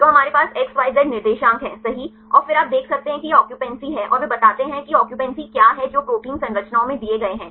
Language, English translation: Hindi, So, we have the XYZ coordinates right and then you can see this is the occupancy and they explain what is the occupancy which are given in the protein structure